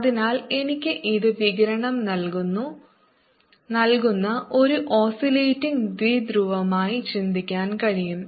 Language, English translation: Malayalam, so i can even think of this as an oscillating dipole which is giving out radiation